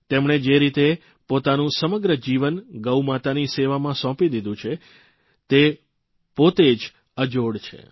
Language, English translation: Gujarati, The manner he has spent his entire life in the service of Gaumata, is unique in itself